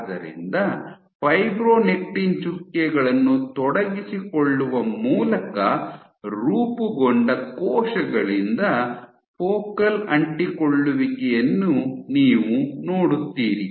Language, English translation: Kannada, So, you will see focal adhesions being formed by the cells, formed by engaging fibronectin dots